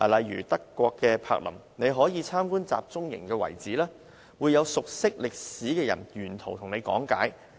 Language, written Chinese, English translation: Cantonese, 以德國柏林為例，參觀集中營遺址時，會有熟悉歷史的人沿途講解。, Take Berlin as an example . When people visit the concentration camp sites they will be guided by those well versed in history